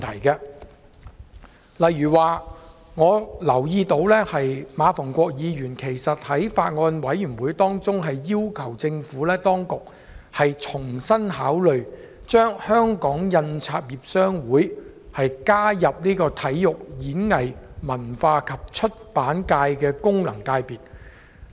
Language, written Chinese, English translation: Cantonese, 舉例來說，我留意到馬逢國議員在《2019年選舉法例條例草案》委員會上也曾要求政府當局重新考慮，將香港印刷業商會加入體育、演藝、文化及出版界的功能界別。, For instance I notice that Mr MA Fung - kwok has requested the Administration at the meeting of the Bills Committee on the Electoral Legislation Bill 2019 to reconsider including The Hong Kong Printers Association HKPA in the Sports Performing Arts Culture and Publication Functional Constituency . His request seems to be reasonable